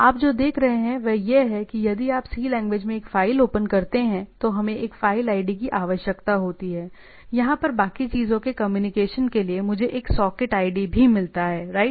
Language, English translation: Hindi, So, what you see that if you open a file in a C language what we require a file ID to communicate right rest of the things right here also I get a socket id